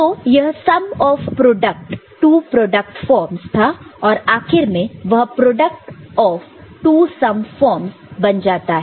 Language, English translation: Hindi, So, it was sum of two product terms, this becomes product final product of two sum terms